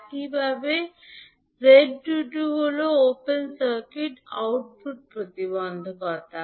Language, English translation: Bengali, Similarly, Z22 is open circuit output impedance